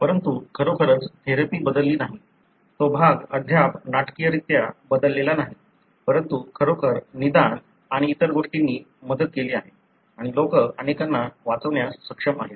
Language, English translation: Marathi, But really has not changed away the therapy, that part is not yet changed dramatically, but really the diagnosis and other things have helped and people are able to save many and so on